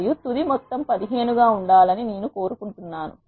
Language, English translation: Telugu, And I want the final sum to be 15